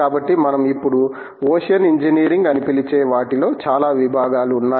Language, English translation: Telugu, So, a whole lot of disciplines have been encompassed in what we now called Ocean Engineering